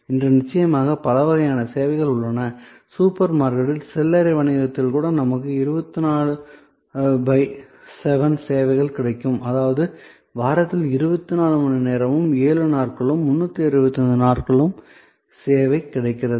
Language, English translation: Tamil, Today of course, there are many different types of services, even in retail merchandising in super market we get 24 by 7 service; that means, 24 hours 7 days a week 365 days the year the service is available